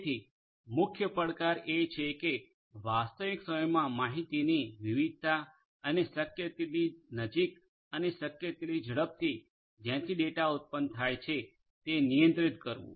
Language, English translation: Gujarati, So, the major challenge is to handle the diversity of the data in real time and as close as possible and as fast as possible to the point from which the data are originating